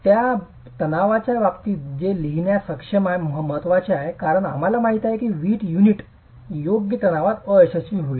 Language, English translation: Marathi, It's important to be able to write it in terms of that stress because we know that the brick unit will fail in tension